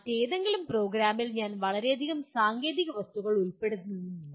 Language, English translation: Malayalam, And in some other program, I may not include that many technical objects